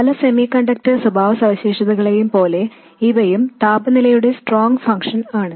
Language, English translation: Malayalam, And also, like many semiconductor characteristics, these things are a strong functions of temperature